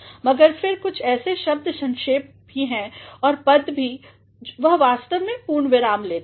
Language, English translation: Hindi, But, then there are certain abbreviations also and designations also they actually take period